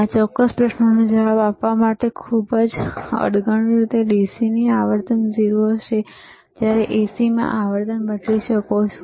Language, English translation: Gujarati, In a very crude way to answer this particular question, the DC would have 0 frequency while AC you can change the frequency